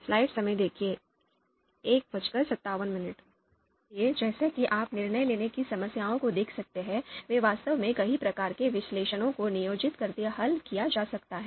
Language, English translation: Hindi, So as you can see decision making problems, they can actually be solved by employing many types of analysis